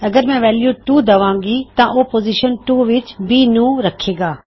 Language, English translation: Punjabi, If I give the value two it would say B in position 2